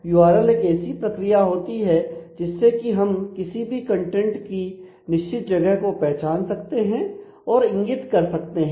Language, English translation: Hindi, So, that is a URL is a procedure to which you can identify and point to a certain specific location of content